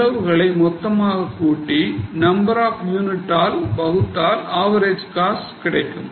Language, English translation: Tamil, So, you take the total cost divided by number of units, you get average cost